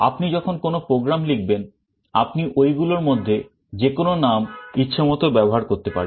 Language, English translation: Bengali, When you write a program, you can use any of those names as you want